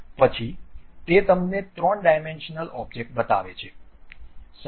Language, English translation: Gujarati, Then it shows you a 3 dimensional object